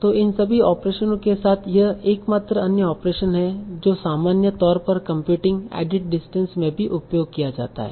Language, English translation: Hindi, So, with all these operations, this is the only other operation that is also commonly used in computing at distance